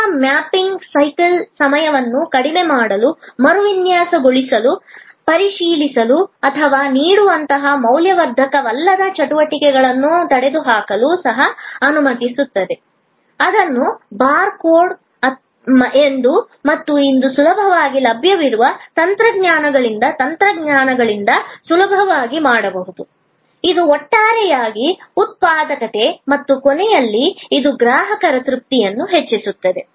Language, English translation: Kannada, The service mapping will also allow us to redesign to reduce the cycle time, to eliminate non value adding activities like checking or issuing, which can be done easily by technology by bar code and RFID and such easily available technologies today, which will increase the overall productivity and at the end, it increase customer satisfaction